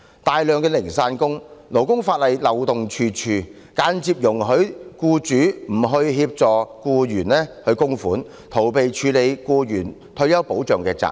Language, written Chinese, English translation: Cantonese, 大量的零散工，勞工法例漏洞處處，間接容許僱主不為僱員供款，逃避僱員退休保障的責任。, A large number of casual workers and various loopholes in the labour legislation have indirectly allow employers not to make MPF contributions for employees thus evading the responsibility of providing for employees retirement protection